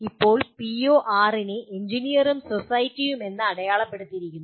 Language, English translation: Malayalam, Now, PO6 is labeled as Engineer and Society